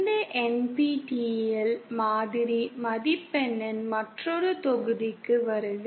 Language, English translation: Tamil, Welcome to another module of this NPTEL mock score